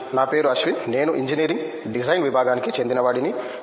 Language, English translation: Telugu, My name is Ashwin, I am from Department of Engineering Design